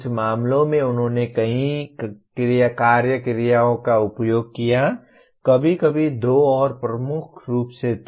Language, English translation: Hindi, In some cases they used multiple action verbs, sometimes two and dominantly one